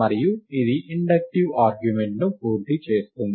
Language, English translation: Telugu, And this completes the inductive argument